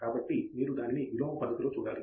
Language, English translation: Telugu, So, you have to look at it in the inverse manner